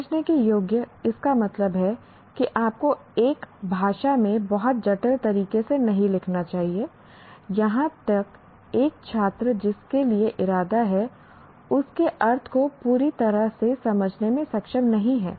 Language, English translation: Hindi, It means you should not write the language in a very complicated way where a student for whom it is intended, he is not able to fully understand the meaning of that